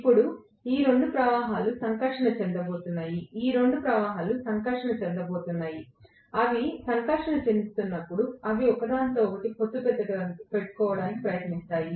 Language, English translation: Telugu, Now, these two currents are going to interact, these two fluxes are going to interact, when they interact they will try to align themselves with each other